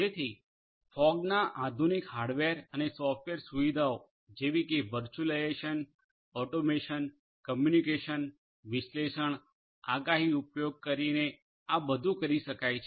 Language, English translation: Gujarati, So, using fog advanced hardware and software features such as virtualization, automation, communication, analysis, prediction, all of these can be done